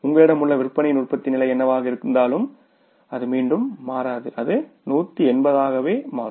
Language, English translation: Tamil, Whatever the level of production and sales you have that will not change again it will be 180